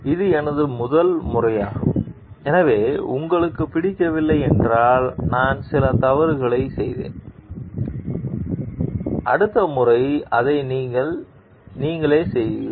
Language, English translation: Tamil, This was my first time, so, I made a few mistakes if you don t like it, do it yourself next time